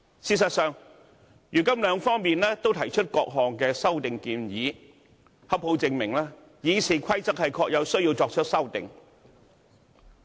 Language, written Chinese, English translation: Cantonese, 事實上，如今雙方都提出各項修訂建議，正好證明《議事規則》確實有需要作出修訂。, As a matter of fact a number of amendments have now been proposed by both sides and this point alone can prove that there is a genuine need to amend the Rules of Procedure